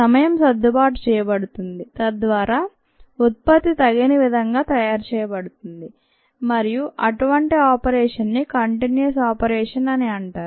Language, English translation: Telugu, the times are adjusted so that the product is made appropriately and such an operation is called continuous operation